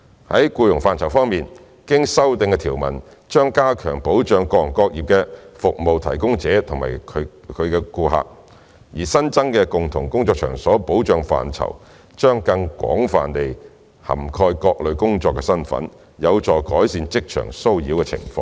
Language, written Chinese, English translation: Cantonese, 在僱傭範疇方面，經修訂的條文將加強保障各行各業的服務提供者及其顧客，而新增的"共同工作場所"保障範疇，將更廣泛地涵蓋各類工作身份，有助改善職場騷擾的情況。, In respect of employment the amended provisions will strengthen the protection afforded to service providers and customers of all trades while the expanded protection in common workplace will cover people of different work status more extensively to reduce workplace harassment